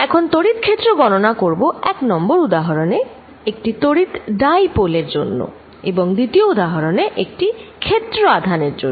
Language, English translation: Bengali, I am going to calculate electric field due to example 1 a, an electric dipole and 2 due to a surface charge